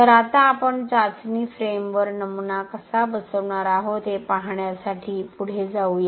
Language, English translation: Marathi, So now let us move on to see how we are going to mount to the specimen onto the testing frame